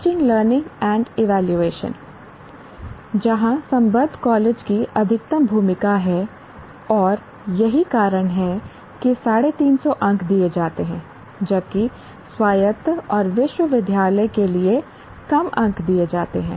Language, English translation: Hindi, Teaching, learning and evaluation, that is where the affiliated college has maximum role to play and that's why 350 marks are given, whereas less marks are given for autonomous and university